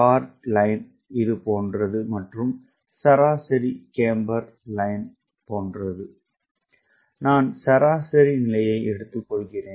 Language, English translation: Tamil, ok, it is possible that the chord line is something like this and mean camber line is something like this and i take the mean position